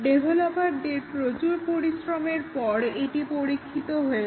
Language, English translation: Bengali, After a lot of work by the developers, it has been tested